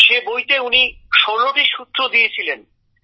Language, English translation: Bengali, And in that he gave 16 sutras